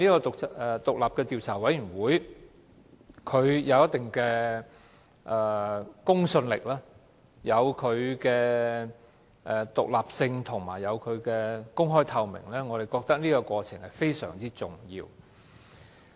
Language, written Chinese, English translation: Cantonese, 獨立調查委員會具有一定的公信力，而且獨立、公開及透明，我們認為這是非常重要的。, The independent Commission of Inquiry is highly credible independent open and transparent . We consider that these factors are of paramount importance